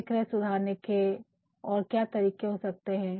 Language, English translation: Hindi, What can be the other ways to improve the sales